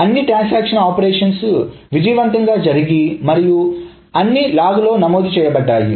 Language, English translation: Telugu, So all the operations in the transaction have been executed successfully plus all of them have been recorded in the log